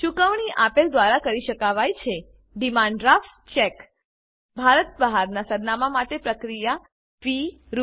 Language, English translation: Gujarati, Payment can be made by Demand Draft Cheque For addresses outside India, the processing fee is Rs